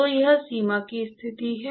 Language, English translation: Hindi, So, that is the boundary condition